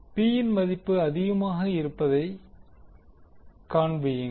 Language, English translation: Tamil, Show that the value of P is maximum